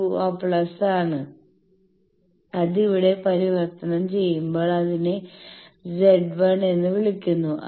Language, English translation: Malayalam, 82 plus something now that when it is converted here this is called Z 1